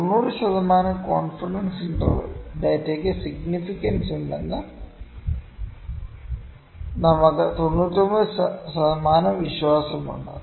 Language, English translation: Malayalam, 90 percent confidence interval we are 990 percent confident that the data is significant